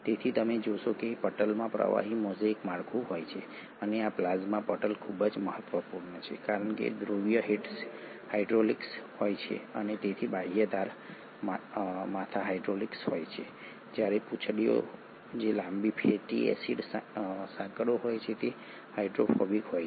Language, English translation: Gujarati, Hence you find that the membranes have what is called as a fluid mosaic structure and these plasma membranes are very important because the polar heads are hydrophilic, so the outer edges, the heads are hydrophilic while the tails which are the long fatty acid chains are hydrophobic